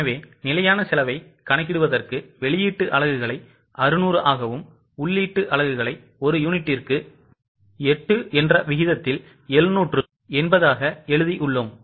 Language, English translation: Tamil, So, for calculating the standard cost, we have written output units as 600 and input units as 780 at 8 rupees